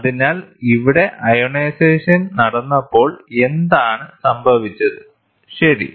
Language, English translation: Malayalam, So, hear what happened the ionization happens, ok